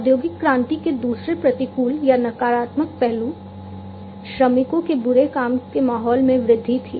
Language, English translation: Hindi, Second adverse or, negative effect of industrial revolution was the increase in the bad working environment of the workers